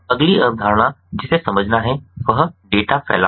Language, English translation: Hindi, the next concept that has to be understood is data dispersion